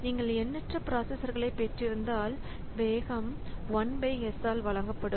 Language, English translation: Tamil, So if you have got infinitely many number of processors, then the speed up will be given by 1 by s